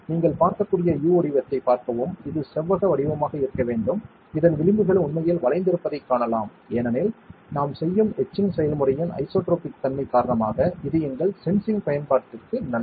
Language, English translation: Tamil, See the U shape you can see, it is supposed to be perfectly rectangular you can see the edges are actually curved with this is because of the isotropic nature of the etching process that we do which is fine for our sensing application